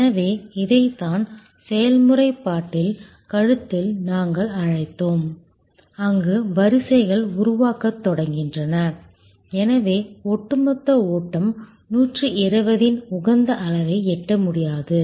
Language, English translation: Tamil, So, this is what we called in process bottle neck, where queues start forming and therefore, the overall flow cannot reach the optimal level of 120